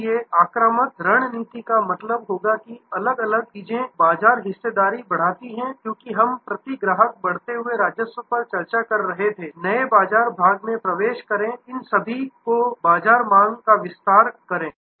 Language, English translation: Hindi, So, offensive strategy will mean this different things grow market share as we were discussing grow revenue per customer enter new market segment expand the market demand all of these